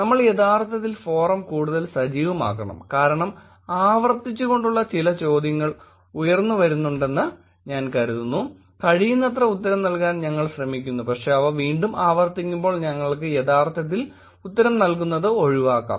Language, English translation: Malayalam, We should actually make the forum more active because I think there are some very repeated questions that comes up, we're tying to answer as such as possible but when they are very repeated we can avoid actually answering also